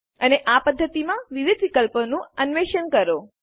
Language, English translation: Gujarati, And explore the various options in this method